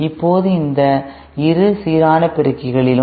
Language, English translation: Tamil, Now in both these balanced amplifiers